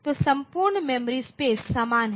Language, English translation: Hindi, So, entire memory space is similar,